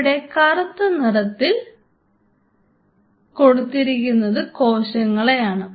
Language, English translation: Malayalam, So, the black what I am drawing is the cells